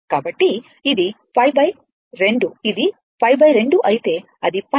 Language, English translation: Telugu, So, it is pi by 2 say if it is a pi by 2, it is pi